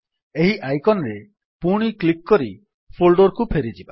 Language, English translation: Odia, Let us go back to the folder by clicking this icon again